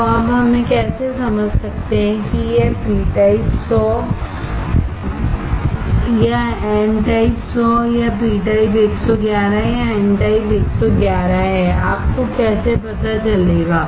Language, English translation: Hindi, So, how we can now understand whether this p type 100 or n type 100 or p type 111 or n type 111, how you will know